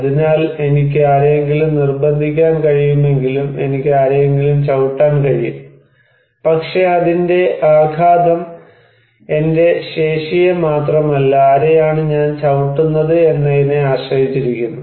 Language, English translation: Malayalam, So, even though I can force someone, I can just kick someone, but it impact depends not only on my capacity but also whom I am kicking